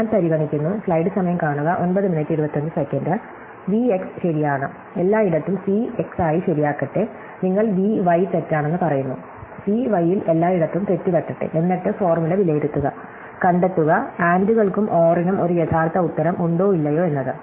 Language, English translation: Malayalam, I can say oh you say x is true, let me put true everywhere I see x, you say oh y is false, let me put false everywhere I see y, and then evaluate the formula, find out whether the ANDÕs and ORÕs add upto a true answer or not